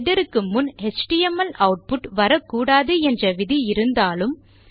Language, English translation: Tamil, Despite the initial rule of no html output before header up here